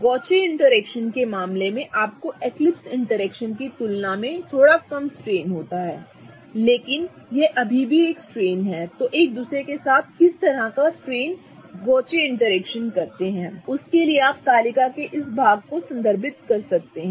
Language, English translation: Hindi, In the case of gauce interaction you have a little lesser strain than an eclipsed interaction but it is still a strain and in order to refer to what kind of strain gauce interactions put with each other, you can refer to this part of the table